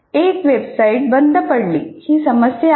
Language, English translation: Marathi, For example, here a website went down